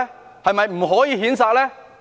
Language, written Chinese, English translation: Cantonese, 是否不可以譴責呢？, Can they not be condemned?